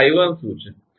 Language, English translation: Gujarati, now what is i one